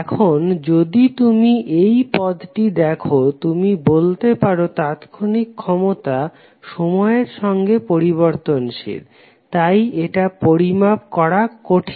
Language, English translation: Bengali, Now, if you see this term you can say that instantaneous power changes with time therefore it will be difficult to measure